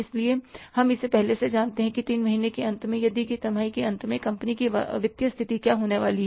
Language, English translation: Hindi, So, we know it in advance that what is going to be the financial position of the company at the end of the three months or at the end of the given quarter